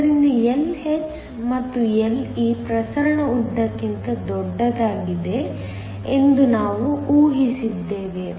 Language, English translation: Kannada, So, we have assumed that Lh and Le are larger than the diffusion lengths